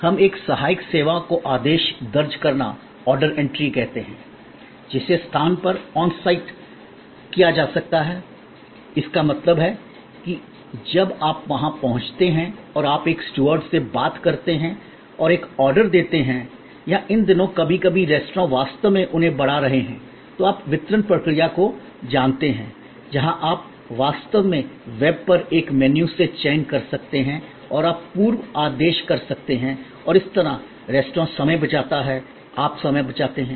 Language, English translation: Hindi, What, we call a supporting services is order entry, which can be done on site, that means, when you reach there and you talk to a steward and place an order or these days sometimes restaurants are actually enhancing their, you know delivery process, where you can actually select from a menu on the web and you can pre order and that way, the restaurant saves time, you save time, if it is so desired